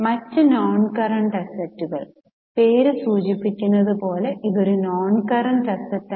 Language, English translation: Malayalam, Other non current assets, as the name suggests it is a non current asset